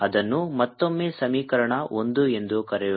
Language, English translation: Kannada, let's call it again equation one